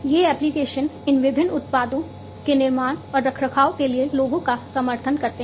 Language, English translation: Hindi, These applications support the people to build and maintain these different products